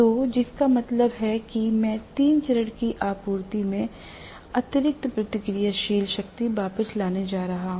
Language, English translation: Hindi, So, which means I am going to have excess reactive power returned to the three phase supply